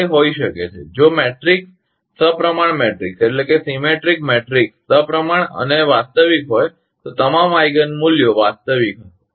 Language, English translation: Gujarati, It may be if matrix are symmetric matrix, symmetric and real, that all Eigen values will be real